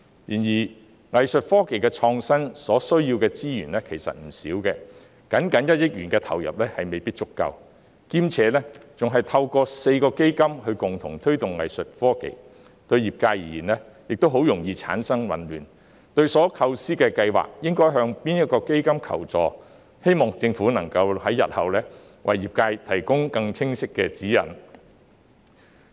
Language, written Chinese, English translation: Cantonese, 然而，藝術科技創新所需要的資源其實不少，僅僅1億元的投入未必足夠，兼且透過4個基金共同推動藝術科技，對業界而言容易產生混亂，不知所構思的計劃應向哪一基金求助，我希望政府日後能為業界提供更清晰的指引。, Nonetheless the resources required for innovation in Art Tech are actually quite substantial and a mere 100 million injection may not be adequate . Besides the joint promotion of Art Tech through the four funds may easily cause confusion to the sector as they do not know which fund they should approach for assistance in respect of the projects conceived . I hope the Government will provide clearer guidelines to the sector in future